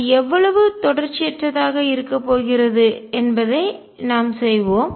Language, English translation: Tamil, And how much is the discontinuity let us do that